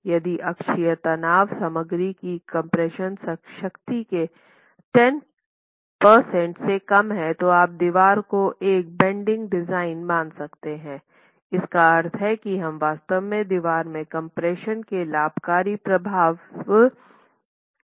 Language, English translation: Hindi, If the axial stress is less than 10% of the compressive strength of the material, you can treat the wall as a pure bending design, meaning that you are really not depending on the beneficial effect of compression in the wall